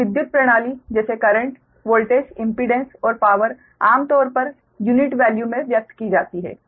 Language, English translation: Hindi, so power system, such as current voltage, impedance or power, are often expressed in per unit values, right